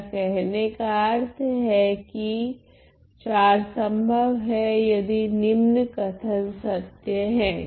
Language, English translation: Hindi, What I mean is that 4 is possible 4 is possible if the following happens if the following statement is true